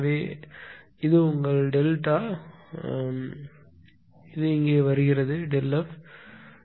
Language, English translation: Tamil, So, this is your this is delta f ah same thing; so, this is coming here this delta f actually coming from here